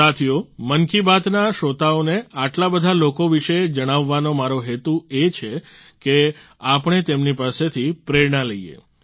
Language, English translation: Gujarati, the purpose of talking about so many people to the listeners of 'Mann Ki Baat' is that we all should get motivated by them